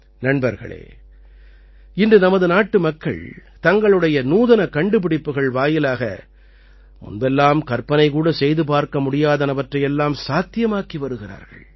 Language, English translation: Tamil, Friends, Today our countrymen are making things possible with their innovations, which could not even be imagined earlier